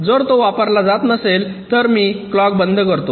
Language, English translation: Marathi, if it is not been used, i switch off the clock